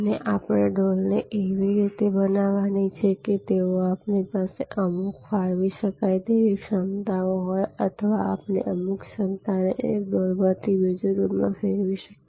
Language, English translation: Gujarati, And we have to create the buckets in such a way that they, we have some allocable capacity or we can migrate some capacity from one bucket to the other bucket